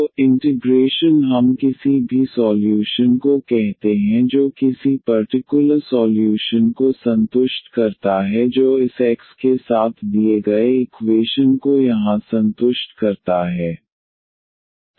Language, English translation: Hindi, So, the particular integral we call any solution which satisfy any particular solution which satisfy the given equation with this here X